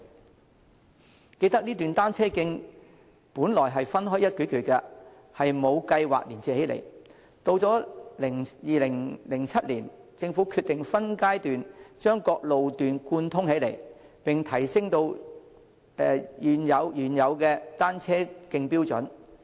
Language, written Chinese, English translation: Cantonese, 猶記得，這段單車徑本來是分開一段段的，並無計劃連接起來；去到2007年，政府決定分階段把各路段貫通起來，並提升原有單車徑標準。, Members should also recall that the cycle tracks in the network were originally confined to individual areas without any plan of connection . It was not until 2007 that the Government decided to connect the cycle tracks to form a comprehensive network and upgrade the standards of the original cycle tracks in phases